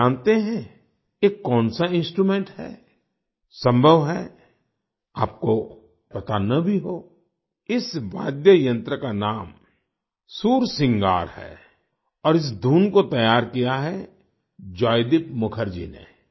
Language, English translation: Hindi, The name of this musical instrumental mantra is 'Sursingar' and this tune has been composed by Joydeep Mukherjee